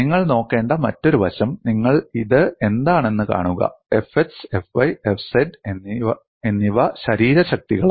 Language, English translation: Malayalam, And another aspect you have to look at, see what you have this is as F x, F y and F z are body forces